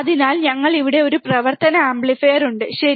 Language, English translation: Malayalam, So, we have a operational amplifier here, right